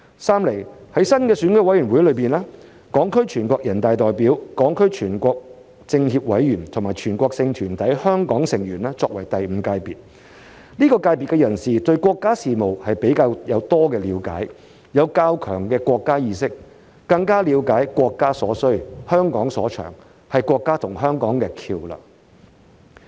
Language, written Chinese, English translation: Cantonese, 三，在新的選委會中，港區全國人大代表、港區全國政協委員和全國性團體香港成員作為第五界別，這個界別的人士對國家事務有比較多的了解，有較強的國家意識，更了解國家所需、香港所長，是國家和香港的橋樑。, Third in the new EC Hong Kong deputies to NPC Hong Kong members of the National Committee of CPPCC and representatives of Hong Kong members of relevant national organizations are added as the Fifth Sector . Individuals in this sector have a better understanding of national affairs a stronger sense of nationalism and a better grasp of the need of the country and the advantages of Hong Kong so they are the bridge between the country and Hong Kong